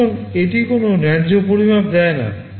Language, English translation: Bengali, So, it does not give any fair measure